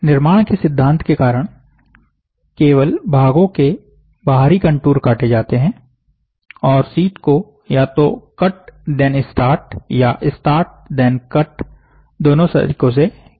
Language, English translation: Hindi, Because of the construction principle only the outer contour of the parts are cut and the sheet can either be cut and then start or the start and then cut